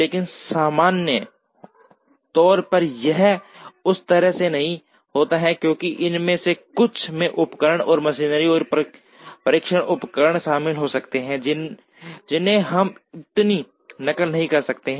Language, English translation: Hindi, But, in general it does not happen that way, because some of these could involve equipment and machinery and testing devices, which we may not duplicate so much